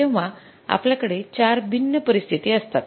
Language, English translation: Marathi, So, these are the four situations